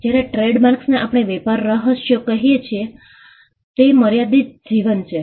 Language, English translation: Gujarati, Whereas, trademarks and what we call trade secrets are unlimited life